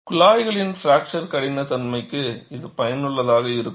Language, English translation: Tamil, This is useful for fracture toughness testing of tubes